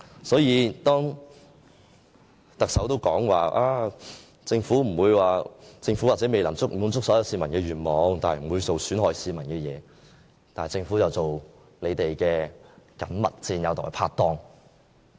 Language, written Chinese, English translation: Cantonese, 因此，當特首說政府也許未能滿足所有市民的願望，但不會做損害市民的事情時，政府卻又做他們的緊密戰友和拍黨。, Hence on the one hand the Chief Executive assured us that though the Government might not be able to satisfy all of our aspirations it would not do harm to the public